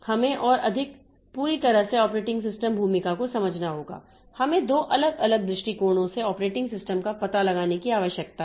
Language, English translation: Hindi, We have to understand more fully the operating system's role we need to explore the operating system from two different viewpoints, the user viewpoint and the system viewpoint